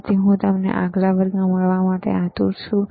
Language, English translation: Gujarati, So, I look forward to see you in the next class, right